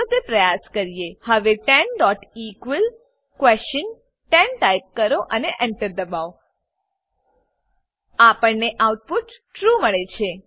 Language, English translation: Gujarati, So type 10 equals equals 10 and Press Enter We get the output as true